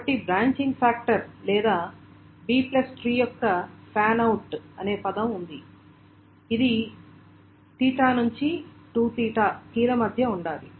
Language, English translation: Telugu, So there is a term called the branching factor or the fan out of a v plus three is therefore it must have between theta to two theta keys